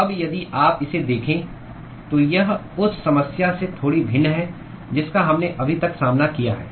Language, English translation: Hindi, Now if you look at it, this is a slightly different problem than what we had dealt with so far